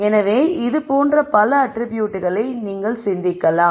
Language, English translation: Tamil, So, you can think of many such attributes